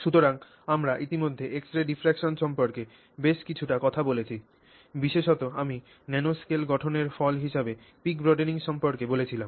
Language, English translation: Bengali, So, we have already spoken quite a bit about x A diffraction, particularly I spoke about peak broadening as a result of the nanoscale formation